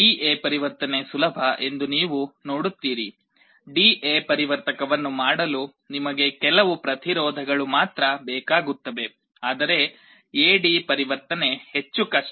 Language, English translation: Kannada, You see D/A conversion is easy, you only need some resistances to make a D/A converter, but A/D conversion is more difficult